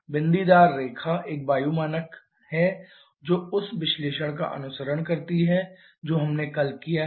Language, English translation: Hindi, The dotted line is the air standard one which follows the analysis that we have done yesterday